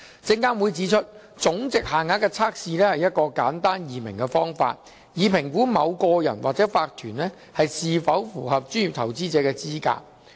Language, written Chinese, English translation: Cantonese, 證監會指出，總值限額的測試是一個簡單易明的方法，以評估某個人或法團是否符合專業投資者的資格。, SFC has indicated that monetary threshold is an easy - to - understand method for evaluating whether an individual or corporation qualifies as a professional investor